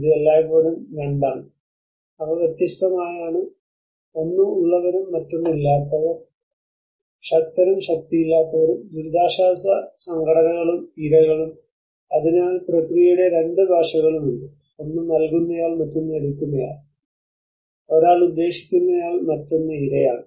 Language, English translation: Malayalam, It is always 2 they are just distinct one is the haves and the other one have nots, the powerful and the powerless, the relief organizations and the victims, so there is the 2 dialects of the process, one is a giver one is a taker, one is a intender one is the victim